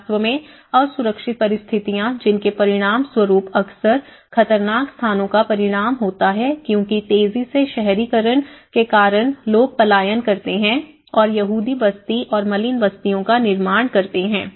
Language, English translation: Hindi, In fact, the unsafe conditions which often result in the dangerous locations because of the rapid urbanization people tend to migrate and form ghettos and slums